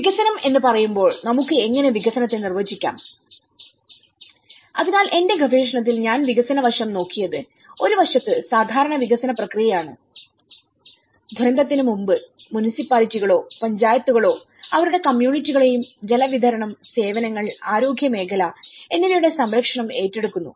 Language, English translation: Malayalam, When we say development, how can we define the development, so in my research what I looked at the development aspect my context is on one side the usual development process, which is before the disaster also the Municipalities or the Panchayat keep taking care of their communities and their roads, water supplies, services everything, health sector